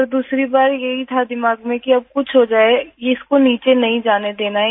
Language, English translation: Hindi, But the second time it was in my mind that if something happens now, I will not let it lower down